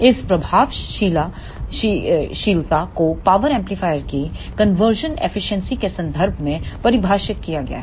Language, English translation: Hindi, This effectiveness is defined in terms of the conversion efficiency of power amplifier